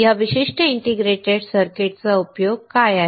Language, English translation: Marathi, What is the use of this particular integrated circuit